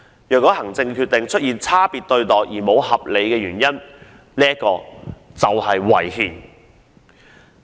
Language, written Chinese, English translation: Cantonese, 如果行政決定出現差別對待而沒有合理原因，即屬違憲。, Any administrative decisions for differential treatment not based on reasonable justifications shall be unconstitutional